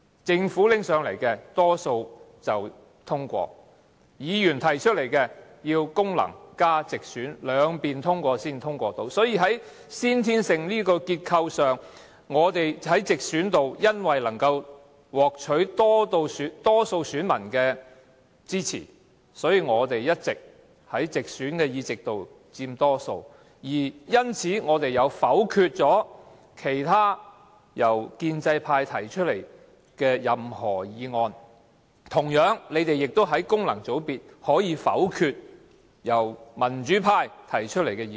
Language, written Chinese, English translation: Cantonese, 政府提交上來的法案及議案，多數會通過；議員提出來的議案，要功能界別加直選均過半數才能夠通過——所以，這個結構在先天上，我們在直選方面因為能夠獲取多數選民的支持，所以我們一直在直選議席佔多數，而因此我們能否決由建制派提出的任何議案；同樣，他們亦在功能界別可以否決由民主派提出的議案。, As for Members motions their passage will require the majority support of both Functional Constituency Members and those returned by geographical constituencies . This inherent feature of the voting system therefore enables us to vote down any motions moved by the pro - establishment camp because we always manage to win majority support in geographical constituency elections and thus occupy the majority of directly elected seats . Similarly Functional Constituency Members of the pro - establishment camp can also vote down any motions moved by the pro - democracy camp